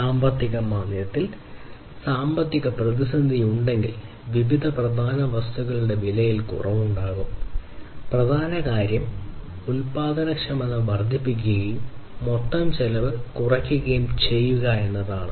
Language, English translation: Malayalam, So, if there is economic crisis on recession then there will be reduction in prices of different major commodities and what is important is to increase the productivity and reduce the overall cost that becomes the solution in such a case